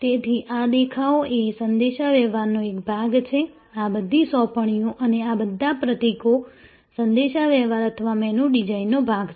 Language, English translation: Gujarati, So, these appearances are all part of communication, all these assigns and all these symbols are part of the communication or the menu design